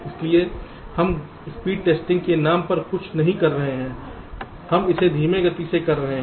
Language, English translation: Hindi, so we are not doing something called at speed testing, we are doing it in a slower rate